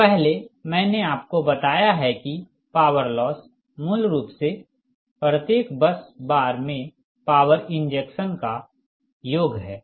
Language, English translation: Hindi, so earlier i have told you that power loss is basically, it is sum of the ah power injected at every bus bar